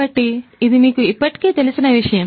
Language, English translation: Telugu, So, this is something that you are already familiar with